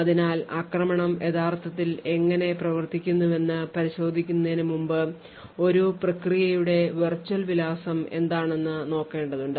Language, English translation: Malayalam, So, before we go into how the attack actually works, we would have to look at the virtual address space of a process